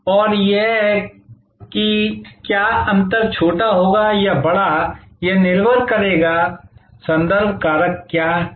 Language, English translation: Hindi, And that whether the gap will be small or larger will depend on what are the contextual factors